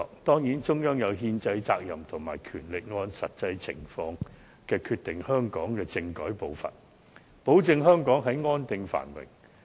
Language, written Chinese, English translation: Cantonese, 當然，中央有憲制責任和權力按實際情況決定香港政改的步伐，保證香港安定繁榮。, Of course the Central Authorities have the constitutional duty and power to decide the pace of constitutional reform in Hong Kong in the light of the actual situation so as to ensure Hong Kongs stability and prosperity